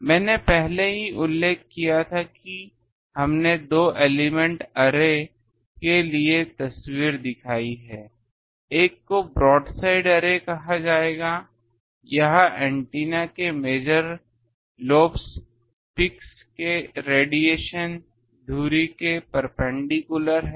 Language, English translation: Hindi, I have already mentioned we have shown the photograph for 2 element array 1 will be called broad side array where the radiation on major lobes peaks perpendicular to the axis of the antenna